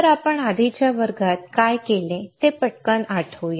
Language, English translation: Marathi, So, let us quickly recall what we have done in the previous classes, right